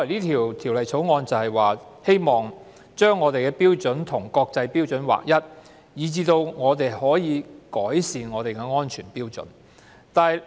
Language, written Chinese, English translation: Cantonese, 《條例草案》的原意是要使香港的標準與國際標準一致，從而改善香港的安全標準。, The original intent of the Bill is to bring Hong Kongs standard in line with the international standard with a view to improving our safety standard